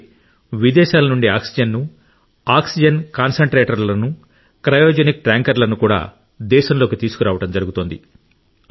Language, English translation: Telugu, Along with that, oxygen, oxygen concentrators and cryogenic tankers from abroad also are being brought into the country